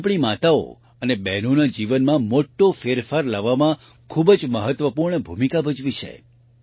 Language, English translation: Gujarati, It has played a very important role in bringing a big change in the lives of our mothers and sisters